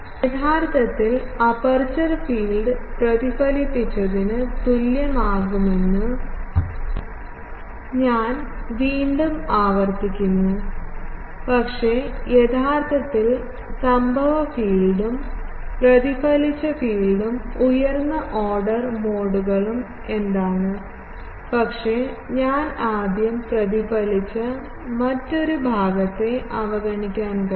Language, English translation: Malayalam, I am again repeating that actually aperture field will be equal to the reflected, but the actually the what has incident field plus the reflected field plus the higher order modes, but I can neglect the reflected another part as a first analysis